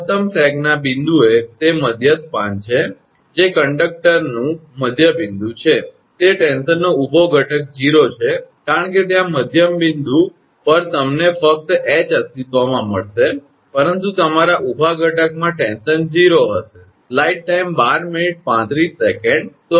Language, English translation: Gujarati, At the point of maximum sag that is the mid span that is the midpoint of the conductor the vertical component of the tension is 0, because there at the midpoint you will find only H exists, but vertical component your of the tension will be 0